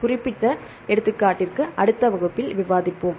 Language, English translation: Tamil, Then for the specific example, we will discuss in the next class